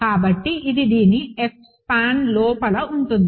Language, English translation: Telugu, So, this is inside F span of this